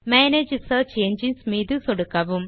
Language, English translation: Tamil, Click on Manage Search Engines